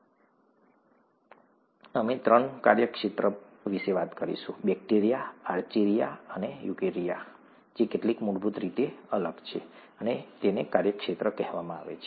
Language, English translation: Gujarati, Life, we said had three domains; bacteria, archaea and eukarya, which are different in some fundamental ways, and these are called domains